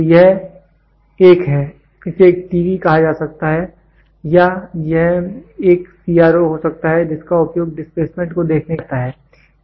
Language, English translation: Hindi, So, this is a; it can be called as a TV or it can be a CRO which is used to see the displacement